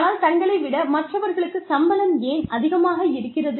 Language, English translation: Tamil, But, they do not know, why somebody salary is, higher than theirs